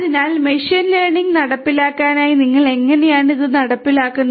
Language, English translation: Malayalam, So, how do you execute these in for machine learning implementations